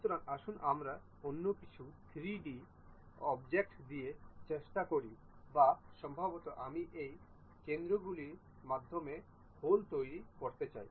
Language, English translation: Bengali, So, let us try with some other 3D object or perhaps I would like to make holes through these centers